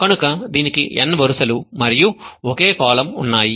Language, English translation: Telugu, So it has n rows and a single column